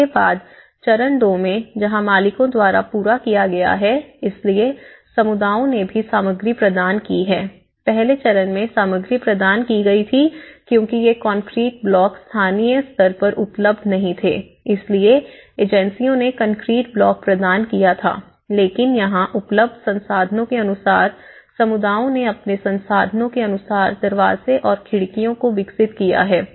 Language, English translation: Hindi, Then in stage two, this is where the completion by owners so, communities also have provided so, in the earlier stage the materials were provided because these concrete blocks were not available locally so the agencies have provided the concrete blocks but in here the communities as per their feasibilities as per their available resources they have developed they brought the doors and windows